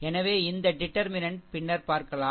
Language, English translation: Tamil, So, where this determinant that will see later